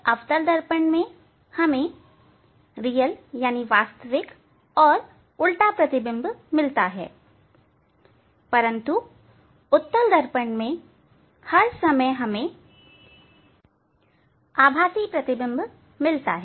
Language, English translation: Hindi, in concave mirror we get the real and inverted image, but for convex mirror all the time we get the virtual image